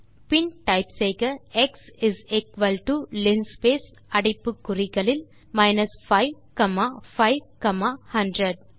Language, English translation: Tamil, Then type x is equal to linspace in brackets 5 comma 5 comma 500